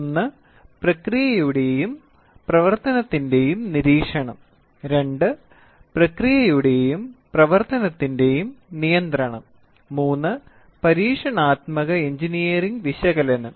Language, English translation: Malayalam, 1 is monitoring of the process and operation, 2 control of the process and operation and 3 experimentally engineering analysis